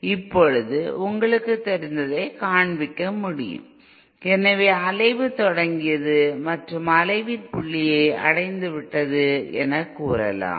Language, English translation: Tamil, Now it can be shown you know so once so the oscillation has started and say the point of oscillation has been reached